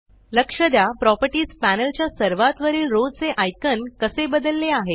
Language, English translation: Marathi, Notice how the icons at the top row of the Properties panel have now changed